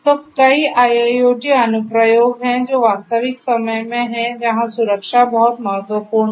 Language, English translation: Hindi, So, there are many IIoT applications that are real time where safety is very important